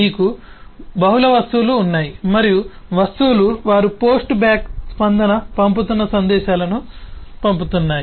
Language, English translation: Telugu, we have multiple objects and the objects are sending messages, they are sending post back response and so on